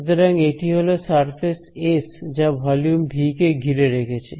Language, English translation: Bengali, So, this is a surface s include enclosing a volume v